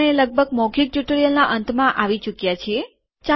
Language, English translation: Gujarati, We are almost at the end of the spoken tutorial